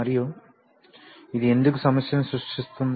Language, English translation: Telugu, And why this is creating a problem